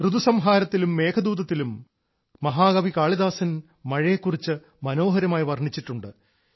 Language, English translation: Malayalam, In 'Ritusanhar' and 'Meghdoot', the great poet Kalidas has beautifully described the rains